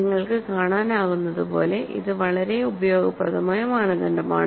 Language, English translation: Malayalam, See, this is a very useful criterion as you can see